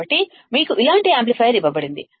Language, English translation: Telugu, So, you have been given an amplifier like this